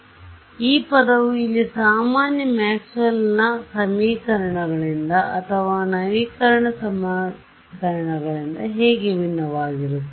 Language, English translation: Kannada, So, how does this equation differ from my usual Maxwell’s equations or update equations